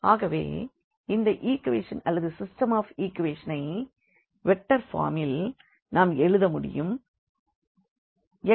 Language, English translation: Tamil, So, we can again rewrite these equation or the system of equation in this form in the vectors form